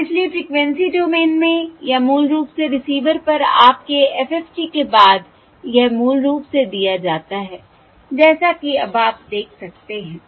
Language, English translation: Hindi, And therefore in the frequency domain, or basically, after your FFT, after the FFT at the receiver, this is basically given as now you can see